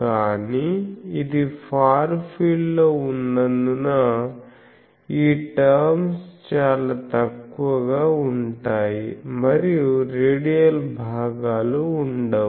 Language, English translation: Telugu, But since, it is in the far field, these terms are negligible by that and there are no radial components